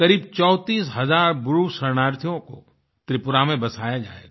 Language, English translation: Hindi, Around 34000 Bru refugees will be rehabilitated in Tripura